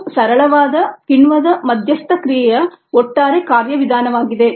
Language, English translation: Kannada, this is the overall mechanism of simple enzyme mediated reaction